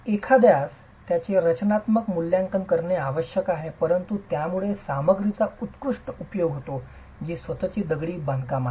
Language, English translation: Marathi, One has to assess them structurally but this is putting the material to its best use which is the strength of masonry itself